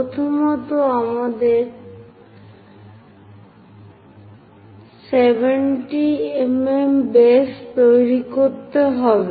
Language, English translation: Bengali, First, we have to construct six 70 mm base